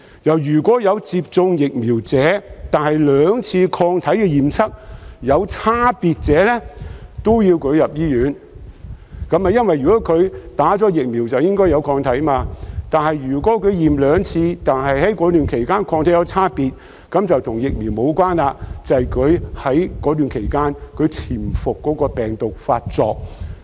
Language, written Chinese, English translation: Cantonese, 若有接種疫苗，但兩次抗體驗測有差別，亦要送入醫院，因為接種疫苗後便應有抗體，但如果驗測兩次，而該期間抗體有差別，便與疫苗無關，而是該期間潛伏的病毒發作。, Those vaccinated but having received different results from the two tests for antibodies should also be sent to hospital . It is because as they are supposed to have developed antibodies after vaccination any difference in antibodies between the two tests has nothing to do with the vaccine but indicates instead that the latent virus has been reactivated during the period